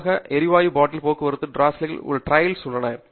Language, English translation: Tamil, Typically, to transport the gas bottle, there are trolleys